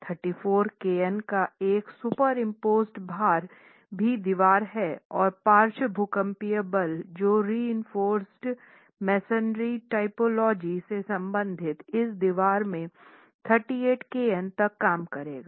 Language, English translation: Hindi, A superimposed load of 32 kiloons also acts on the wall and the lateral seismic force corresponding to the reinforced masonry typology will work out to 38 kilo Newton in this wall